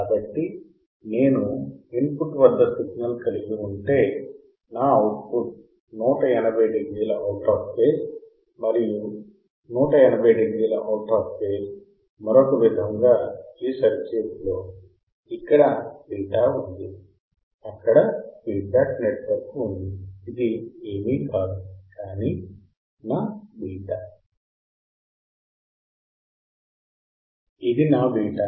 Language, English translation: Telugu, So, if I have a signal at the input my output would be 180 degree out of phase and 180 degree out of phase or in another way if I because this circuit, this is a beta there is feedback network this is a case is nothing, but my beta